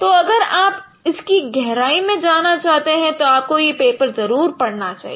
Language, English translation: Hindi, So if you would like to go through the details, you should read this paper